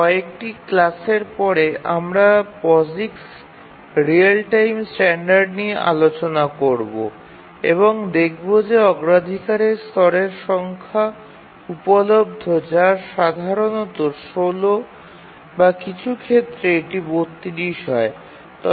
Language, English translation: Bengali, A little later after a few classes we will look at the POSIX real time standard and we'll see that the number of priority levels that are available is typically 16 and in some cases we'll see that it is 32